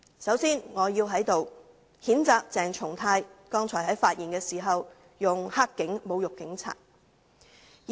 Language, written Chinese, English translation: Cantonese, 首先，我要在此譴責鄭松泰議員剛才在發言時使用"黑警"一詞來侮辱警察。, First of all here I must condemn Dr CHENG Chung - tai for using the expression black cops to insult the police officers in his speech just now